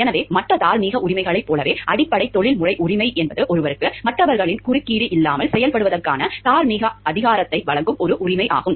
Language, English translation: Tamil, So, as with other moral rights the basic professional right is an entitlement giving one the moral authority to act without interference from others